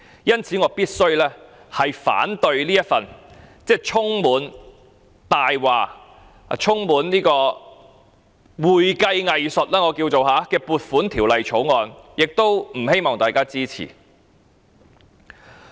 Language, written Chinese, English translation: Cantonese, 因此，我必須反對這份充滿謊言，充滿我稱為會計"偽術"的《2019年撥款條例草案》，亦不希望大家支持。, Hence I must oppose this Appropriation Bill 2019 which is full of lies and accounting tricks and I do not want Members to support it either